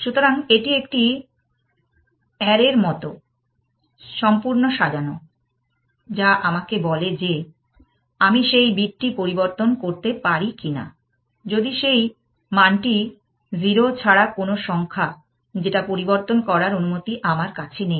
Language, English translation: Bengali, So, this is like an array, which tells me whether I am allowed to change that bit or not, if that value is non zero, I am not allowed to change only